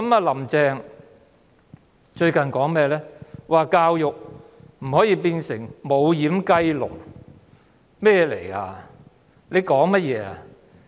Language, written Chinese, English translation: Cantonese, "林鄭"最近說教育不可以變成"無掩雞籠"，她說甚麼？, Carrie LAM has said recently that education cannot become a doorless chicken coop . How come she spoke like that?